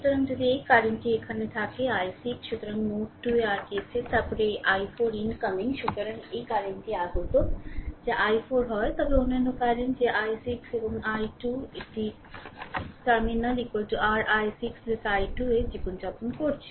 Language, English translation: Bengali, So, if you apply your KCL at node 2, then this i 4 is incoming so, this current is incoming that is i 4 right, but other current that i 6 and i 2 it is living the terminal is equal to your i 6 plus i 2 right